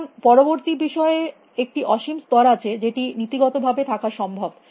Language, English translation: Bengali, So, there is an infinite level of next thing which is possible in principle